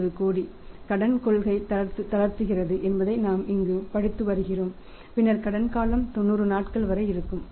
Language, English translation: Tamil, So, we are studying here that how many sales 350 crores it relaxes a credit policy then the credit period is up to 90 days